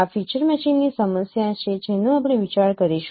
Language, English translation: Gujarati, This is the problem of feature matching that we would be considering